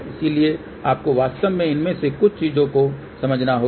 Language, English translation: Hindi, So, you really have to understand some of these things